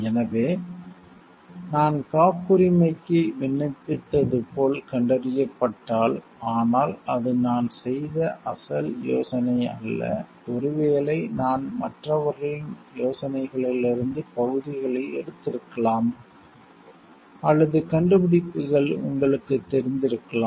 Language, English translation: Tamil, So, if it is found like I have like applied for a patent, but it is not an original idea that I have done and maybe I have taken portions from others ideas or you know inventions